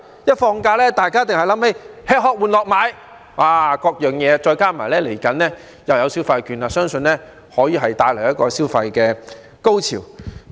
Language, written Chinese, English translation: Cantonese, 一旦放假，大家必定會想起吃、喝、玩、樂、買等，再加上未來又有消費券，相信可以帶來一個消費高潮。, Holidays always remind people of eating drinking playing entertainment shopping etc and coupled with the consumption vouchers to be issued I believe consumption will then reach a climax